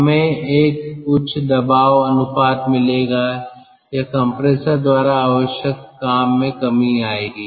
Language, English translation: Hindi, we will be having a higher pressure ratio, or or our work required by the compressor will decrease